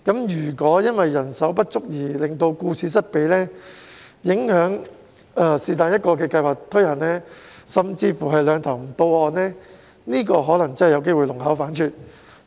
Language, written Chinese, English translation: Cantonese, 如果因為人手不足而令到顧此失彼，影響其中一項計劃的推行，甚至是"兩頭唔到岸"，可能真的有機會弄巧反拙。, If a shortage of manpower has prompted the staff to focus only on certain work while neglecting other work thereby affecting the implementation of either or both of the proposals it may give counter - productive effect